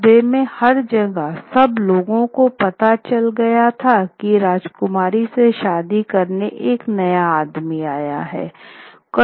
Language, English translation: Hindi, Everywhere in the town people now knew a new suitor had arrived to marry the princess